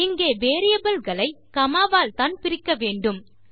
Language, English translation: Tamil, Here we need to separate the variables by a comma